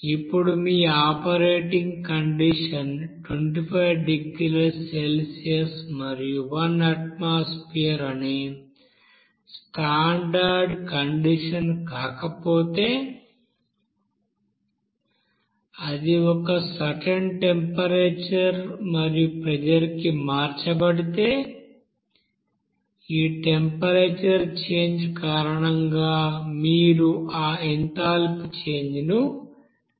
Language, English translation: Telugu, Now if your operating condition is not that of standard condition that is 25 degrees Celsius and one atmosphere, if it is changed at a certain temperature and pressure then you have to calculate that enthalpy change because of this temperature change